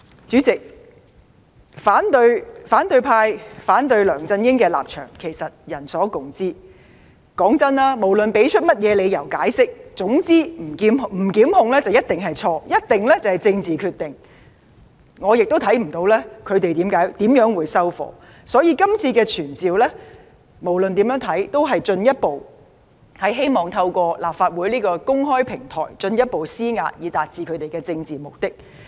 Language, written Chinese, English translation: Cantonese, 主席，其實反對派對梁振英的反對立場人所共知，無論提出任何理由解釋，總之不提檢控便一定是錯、一定是政治決定，我亦看不到他們怎樣才會"收貨"，所以，今次的傳召無論怎樣看也不過是希望透過立法會的公開平台，進一步施壓以達致他們的政治目的。, It must be a political decision . I cannot see what result they would find satisfactory to them . Therefore the purpose of the motion of summon this time around is nothing more than putting further pressure through the platform of the Legislative Council in order to achieve their political goals